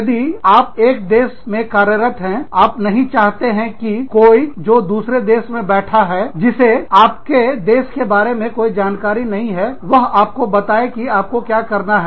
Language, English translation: Hindi, If you are functioning in one country, you do not want somebody sitting in another country, who does not have any knowledge of your country, telling you, what to do